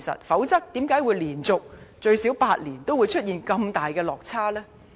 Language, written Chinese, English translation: Cantonese, 否則又怎會連續最少8年，都出現這麼大落差呢？, Otherwise how come we can have such large discrepancies for at least eight consecutive years?